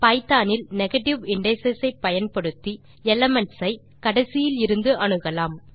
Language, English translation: Tamil, In python negative indices are used to access elements from the end